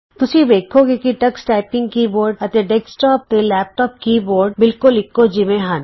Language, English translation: Punjabi, Notice that the Tux Typing keyboard and the keyboards used in desktops and laptops are similar